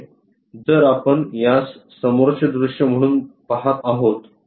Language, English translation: Marathi, Here if we are looking at this one as the front view